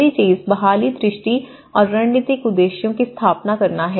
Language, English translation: Hindi, Now, the first thing is setting up recovery vision and strategic objectives